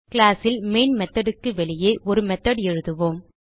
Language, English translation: Tamil, In the class outside the main method we will write a method